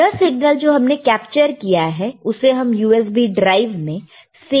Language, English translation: Hindi, This capturing of signal you can save using your USB drive, you are USB port, right